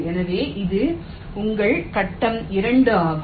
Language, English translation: Tamil, so this is your phase two